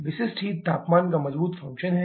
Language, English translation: Hindi, Specific heats are strong functions of temperature